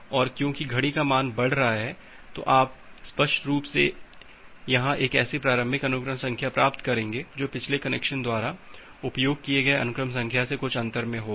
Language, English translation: Hindi, And because the clock value is increasing you will obviously get a initial sequence number here, which has certain gap from the sequence number filled which was used by the previous connection